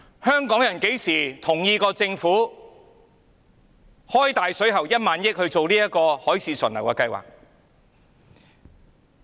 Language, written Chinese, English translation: Cantonese, 香港人何時同意政府"開大水喉"花1萬億元做這項"海市蜃樓"的計劃？, When do people of Hong Kong agree that the Government should spend lavishly 1,000 billion on this illusive project?